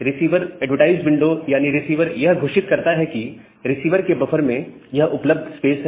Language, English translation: Hindi, So, the receiver advertised window, receiver announces that that is the available place at the available buffer at the receiver